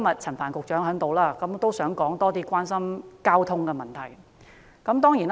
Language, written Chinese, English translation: Cantonese, 陳帆局長今天在席，我想趁機會多談市民關心的交通問題。, Secretary Frank CHAN is present today . I would like to take the opportunity to talk more about the traffic problem which is of concern to the public